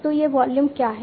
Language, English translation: Hindi, So, what is this volume